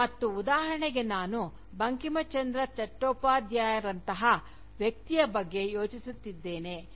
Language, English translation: Kannada, And, here for instance, I am thinking of a figure like Bankim Chandra Chattopadhyay